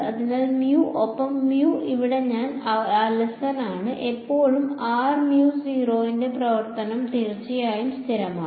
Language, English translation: Malayalam, So, mu over here I am being lazy over here mu is still the function of r mu not is of course, a constant